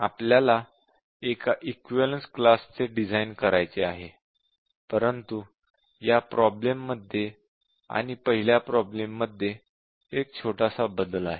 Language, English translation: Marathi, A problem is to design equivalence class for a similar problem but with the small change here